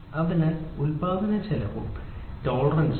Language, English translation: Malayalam, So, manufacturing cost versus work piece work tolerance